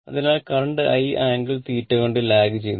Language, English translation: Malayalam, So, I is lagging by an angle theta